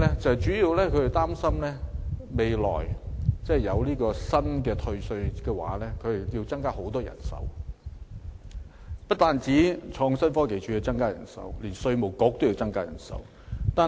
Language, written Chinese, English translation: Cantonese, 主要的憂慮是日後接獲新的退稅申請時，政府需要增聘很多人手，不但創新科技署要增聘人手，稅務局亦有此需要。, Our major concern was that when the new tax deduction took effect a large number of additional staff would be needed in the Innovation and Technology Department as well as in the Inland Revenue Department to handle the new tax refund applications